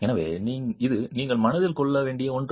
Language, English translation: Tamil, So, this is something that you must keep in mind